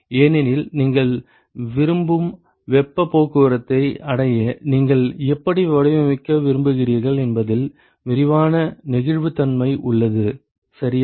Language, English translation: Tamil, Because you have extensive amount of flexibility on how you want to design in order to achieve the heat transport that you want ok